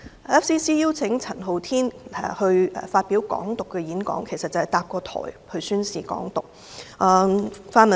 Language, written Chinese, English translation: Cantonese, FCC 邀請陳浩天發表有關"港獨"的演講，其實便是建立平台宣示"港獨"。, By inviting Andy CHAN to give a talk on Hong Kong independence FCC was in fact setting up a platform to promote Hong Kong independence